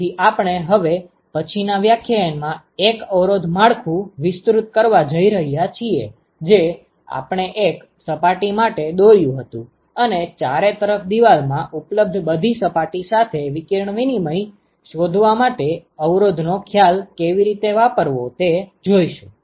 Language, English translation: Gujarati, So, in what we are going to do in the next lecture, we are going to expand the resistance network that we drew for one surface, and how to use the resistance concept to find out the radiation exchange with all these surfaces that is present in an enclosure